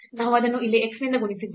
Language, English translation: Kannada, So, what was x here